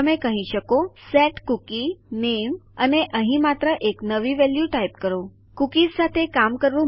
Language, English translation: Gujarati, Youll say set cookie name and here just type a new value So its not hard to work with cookies